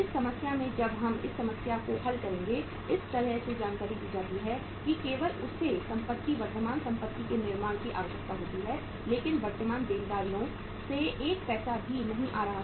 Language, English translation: Hindi, In this problem when we will solve this problem we are given the information in such a way that only it is requiring the creation of the assets current assets but not even a single penny is coming from the current liabilities